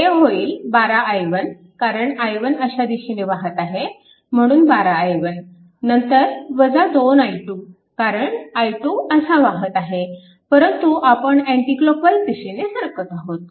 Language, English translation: Marathi, So, it will be look into that it will be 12 i 1, because i 1 is flowing like this 12 i 1, then it will be minus 2 i, 2 because i 2 is moving like this, but we are moving anticlockwise